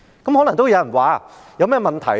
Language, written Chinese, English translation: Cantonese, 有人可能會問，這有甚麼問題呢？, Some people may ask What is the problem with that?